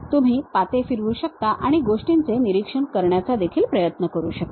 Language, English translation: Marathi, In fact, you can rotate the blades and try to observe the things also